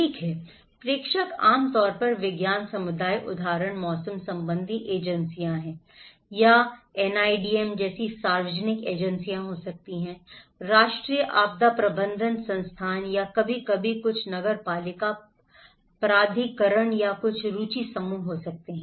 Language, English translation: Hindi, Okay, senders are generally science communities example meteorological agencies or it could be public agencies like NIDM; National Institute of disaster management or sometimes could be some municipal authorities or some interest groups